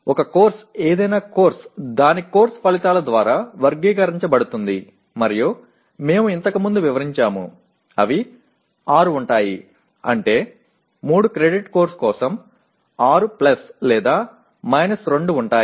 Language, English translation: Telugu, A course, any course is characterized by its course outcomes and they are about, we have explained earlier, they are about 6 that means we talk about 6 plus or minus 2 for a 3 credit course